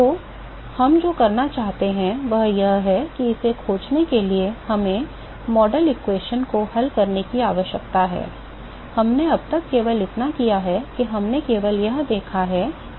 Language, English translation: Hindi, So, what we want to do is in order to find this, we need to solve the model equation, all we have done so far is we have only looked at what are the properties